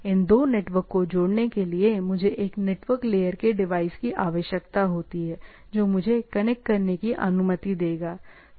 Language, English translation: Hindi, In order to connect these two networks, I require a network level device which will allow me to connect, right